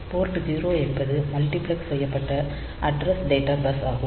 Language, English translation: Tamil, Port 0 is the multiplexed addressed data bus